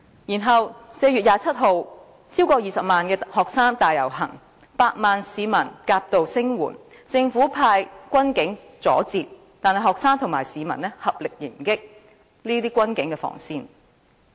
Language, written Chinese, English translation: Cantonese, 然後，在4月27日，超過20萬名學生大遊行，有百萬名市民夾道聲援，政府派軍警阻截，但學生和市民合力迎擊軍警防線。, Then on 27 April over 200 000 students marched on the streets and they were supported by a million citizens . The Government sent in the military and police forces to stop the students but the students together with the supporting public charged against the barriers laid by the military and police forces